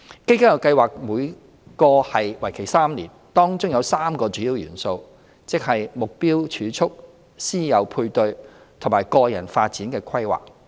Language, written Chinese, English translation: Cantonese, 基金計劃每個為期3年，當中有3個主要元素，即"目標儲蓄"、"師友配對"和"個人發展規劃"。, Each CDF project which lasts for three years comprises three key components namely Targeted Savings Mentorship and Personal Development Plan